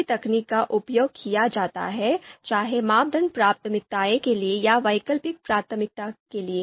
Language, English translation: Hindi, So the same technique is used whether for you know criteria you know prioritization or for the alternative prioritization